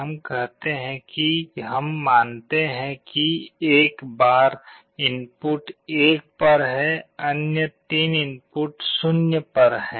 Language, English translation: Hindi, Let us say we assume that at a time one of the input is at 1, other 3 inputs are at 0